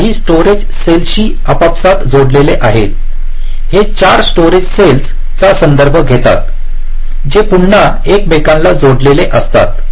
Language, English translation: Marathi, these four refer to some storage cells again, which are connected among themselves